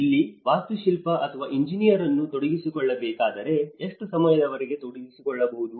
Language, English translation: Kannada, If you have to engage an architect or an engineer, how long one can engage